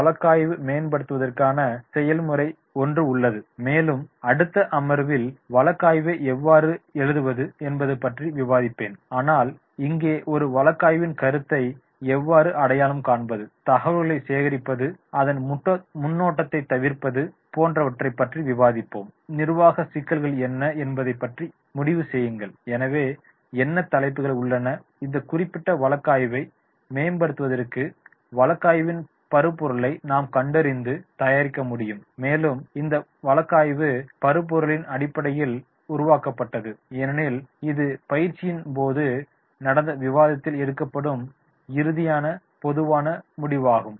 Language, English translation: Tamil, Process for the case development is there, case writing, however I will be discussing this case writing in the further session also, but here identifying a story, gather the information, prepare a story outline, that is what it talks about, decide and administrative issues, so what are the topics are there that we will be able to identify and prepare case materials for this particular case development and on basis of this case material which has been developed, the class, this will be taken into the class, discussed and finally the common solution will be find out